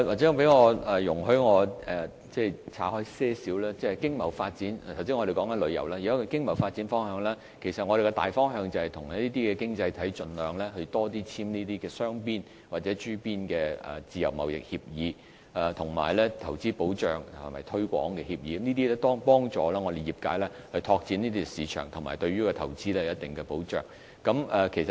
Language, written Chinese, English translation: Cantonese, 請容許我把話題岔開一點，就經貿發展及旅遊發展，我們的大方向就是跟這些經濟體盡量多簽訂雙邊或諸邊自由貿易協定，以及促進和保護投資協定，這些均可幫助業界拓展市場，並對投資有一定保障。, Allow me to sidetrack a little . The general direction for the development of tourism economic and trade activities is to enter into more bilateral or plurilateral free trade agreements and Investment Promotion and Protection Agreements with those economies . Hence we can help the relevant industries open up more markets and also ensure a certain level of protection for their investments